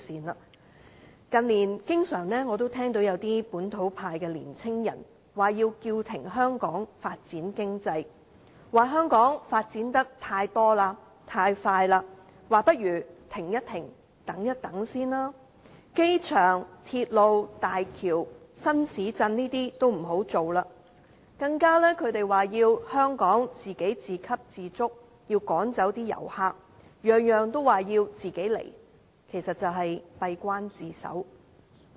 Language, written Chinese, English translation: Cantonese, 我近年經常聽到一些本土派的年青人，說要叫停香港發展經濟，說香港發展得太多、太快，不如先停一停，等一等；說機場、鐵路、大橋、新市鎮等都不要推行；他們更說香港要自給自足，要趕走遊客；每一件事也說要自己獨攬，其實就是閉關自守。, In recent years young people from the localist camp have demanded to call a halt to Hong Kongs economic development claiming that the city is developing too much too fast and that we had better stop and wait as well as to cease implementing projects for the airport railroads bridges and new towns and so on . They even said that Hong Kong should become self - sufficient that tourists must be driven out . By making everything exclusive to themselves they are indeed isolating themselves